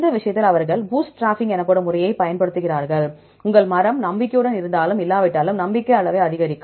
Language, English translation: Tamil, For in this case they use a method called bootstrapping, to increase the confidence level, whether your tree is confident or not